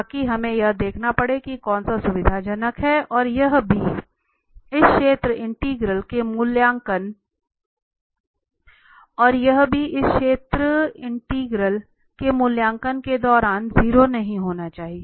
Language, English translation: Hindi, So that we have to see that which one is convenient and also this should not be 0 during this evaluation of this area integral